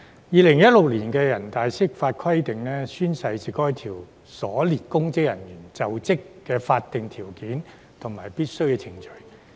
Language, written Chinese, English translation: Cantonese, 2016年的人大釋法規定："宣誓是該條所列公職人員就職的法定條件和必經程序。, According to the Interpretation of NPCSC in 2016 Oath taking is the legal prerequisite and required procedure for public officers specified in the Article to assume office